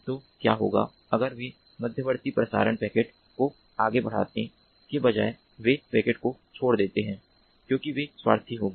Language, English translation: Hindi, so what happens if these intermediate relay nodes, instead of forwarding the packet further, they drop the packet because they will tend to be selfish